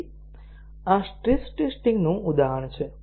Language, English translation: Gujarati, So, this is an example of stress testing